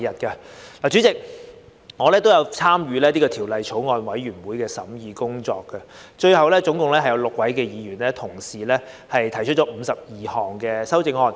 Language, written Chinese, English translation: Cantonese, 代理主席，我也有參與《條例草案》的法案委員會的工作，最後共有6位議員同事提出52項修正案。, Deputy President I have also joined the Bills Committee to study the Bill . A total of six Members have proposed 52 amendments in the end